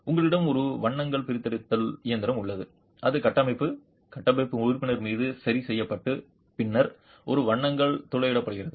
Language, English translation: Tamil, You have a core extraction machine which is fixed onto the structure, structural member and then a core is drilled out